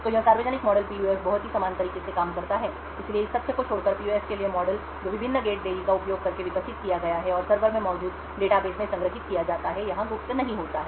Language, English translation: Hindi, So, this public model PUF works in a very similar way, so except for the fact that the model for the PUF which is developed using the various gate delays and stored in the database present in the server does not have to be secret